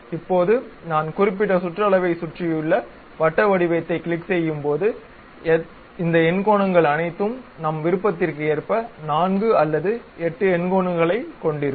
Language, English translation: Tamil, Now, when I click the circular pattern around certain circumference all these octagons will be placed something like whether I would like to have 4 or 8 octagons